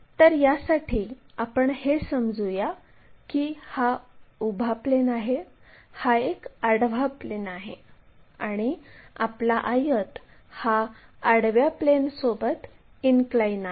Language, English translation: Marathi, So, for that let us visualize that we have something like a vertical plane, there is a horizontal plane and our rectangle is inclined to horizontal plane